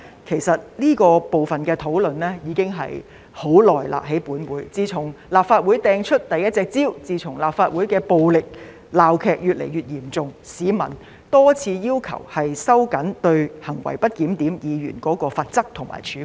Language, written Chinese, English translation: Cantonese, 其實，這個部分的討論已經在本會進行了很久，自從有議員在立法會擲出了第一隻香蕉後，自從立法會的暴力鬧劇越來越嚴重後，市民已經多次要求我們收緊對行為不檢點議員的罰則和處分。, In fact this part of discussion has already been going on in this Council for a very long time . Since the first banana was hurled by a Member in the Legislative Council and since the violent political farces in the Council were getting more serious the public have been asking us many times to tighten the penalty and sanction against grossly disorderly conduct of Members